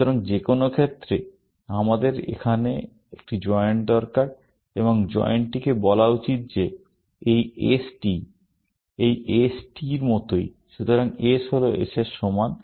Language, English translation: Bengali, So, in any case, we need a joint here, and the joint should say that this S is the same as this S; so, S equal to S